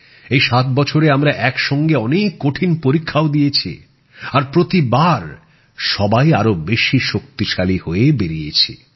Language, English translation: Bengali, In these 7 years together, we have overcome many difficult tests as well, and each time we have all emerged stronger